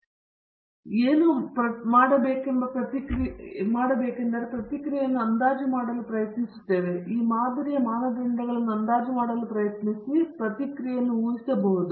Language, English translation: Kannada, So, what we instead do is try to estimate the response or try to estimate the parameters of this model, so that we can predict the response